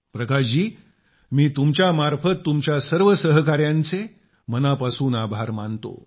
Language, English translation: Marathi, Prakash ji, through you I, thank all the members of your fraternity